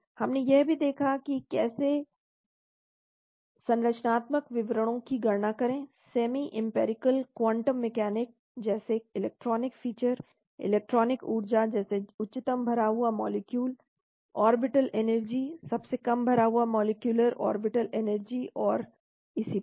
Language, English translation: Hindi, We also looked at how to calculate the structural descriptors using semi empirical quantum mechanics like electronic factors, electronic energies, like highest occupied molecular orbital energy, lowest unoccupied molecular orbital energy and so on